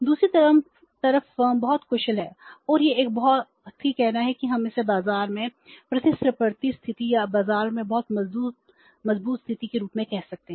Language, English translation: Hindi, On the other side the firm is very efficient and is a very say you can call it is having a competitive position in the market or very strength position in the market